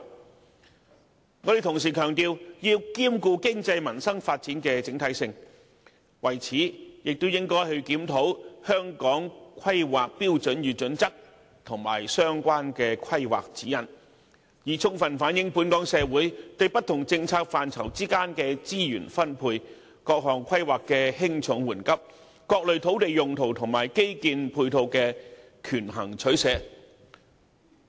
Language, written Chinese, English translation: Cantonese, 我們同時強調要兼顧經濟及民生發展的整體性，為此亦應檢討《香港規劃標準與準則》及相關的規劃指引，充分反映本港社會對不同政策範疇之間的資源分配、各項規劃的輕重緩急、各類土地用途及基建配套的權衡取捨。, We also emphasize the need to comprehensively take care of both the economy and the peoples livelihood . Therefore the Government should also review the Hong Kong Planning Standards and Guidelines as well as other relevant planning directions so as to reflect how society in Hong Kong has weighted up its choices and decisions on resources deployment among different policy areas the order of priority for different planning projects various land uses and infrastructural facilities